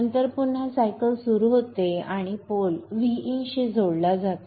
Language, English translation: Marathi, And then again the cycle begins by the pole getting connected to V In